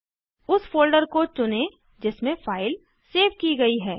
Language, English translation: Hindi, Choose the folder in which the file is saved